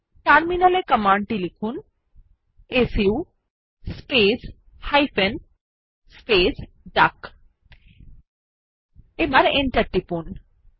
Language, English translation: Bengali, Enter the command su space hyphen space duck on the terminal and press Enter